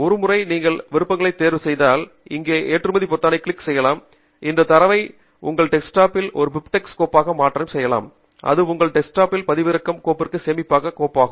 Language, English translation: Tamil, once you have chosen the options here, then you can click on the button export here to export this data as a bib tech file onto your desktop, and it will come to your desktop as a file that can be saved in your downloads folder